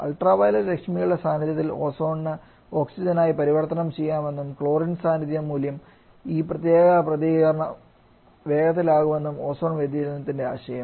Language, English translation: Malayalam, The idea ozone deflection is that when the in presence of UV rays the Ozone can get converted to Oxygen and this particular reaction gets quick and up by the presence of chlorine